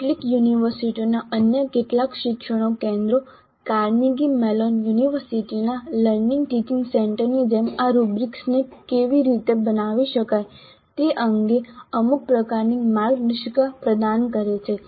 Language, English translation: Gujarati, Several other education centers of several universities do provide some kind of guidelines on how these rubrics can be constructed like the teaching learning teaching center of Carnegie Mellon University